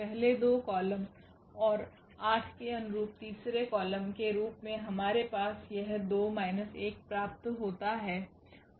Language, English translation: Hindi, First two columns and the corresponding to 8; we have this 2 minus 1 as a third column